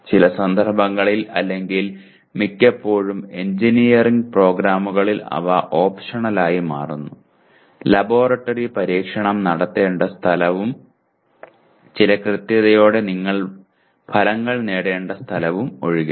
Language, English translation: Malayalam, In some cases it is, in many cases actually in engineering programs they become optional except where the laboratory experiment has to be performed and where you have to obtain results to with certain accuracy